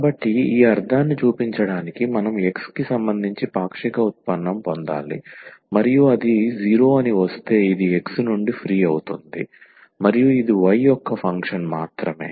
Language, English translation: Telugu, So, to show this meaning we have to just get the partial derivative with respect to x and if it comes to be 0 that means, this is free from x and it is a function of y alone